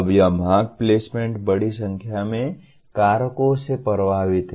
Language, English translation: Hindi, Now this seeking placement is influenced by a large number of factors